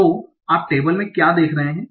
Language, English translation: Hindi, So what you are observing in the table